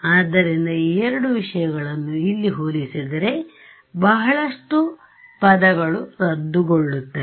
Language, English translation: Kannada, So, if I compare these two things over here, what everything I mean a lot of terms cancel off